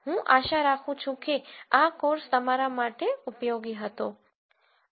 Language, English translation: Gujarati, I hope this was an useful course for you